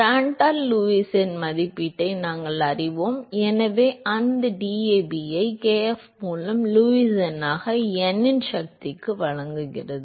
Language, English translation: Tamil, We know that Lewis number estimate by Prandtl and so that simply gives you that DAB by kf into Lewis number to the power of n